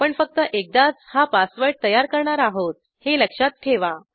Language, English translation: Marathi, Remember you have to create this password only once